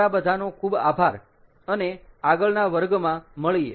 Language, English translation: Gujarati, ok, so thank you very much and see you in the next class